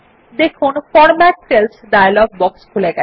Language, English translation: Bengali, You see that the Format Cells dialog box opens